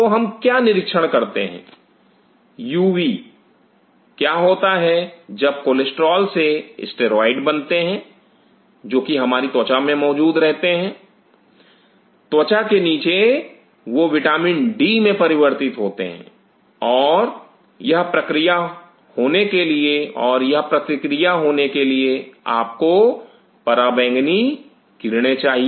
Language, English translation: Hindi, So, what we observe the UV what happened steroids derived from cholesterol which are present in our skin, underneath the skin they get converted into vitamin d and for this reaction to happen you need ultraviolet rays